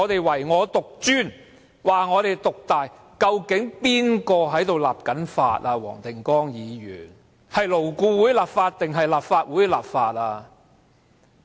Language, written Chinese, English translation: Cantonese, 黃定光議員，究竟誰負責立法？是勞顧會立法還是立法會立法？, Mr WONG Ting - kwong which body is responsible for the enactment of laws LAB or the Legislative Council?